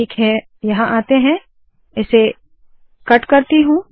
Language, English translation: Hindi, Okay let me come here, cut this